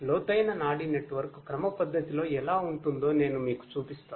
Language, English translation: Telugu, I will show you how a deep neural network looks like schematically, shortly